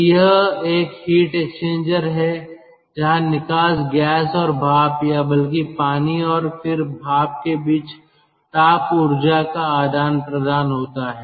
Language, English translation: Hindi, so this is a heat exchanger where there is exchange of thermal energy between the exhaust gas and the steam, or rather the water and then ah, steam